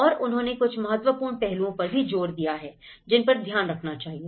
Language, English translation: Hindi, And they have emphasized about few important aspects how to be taken care of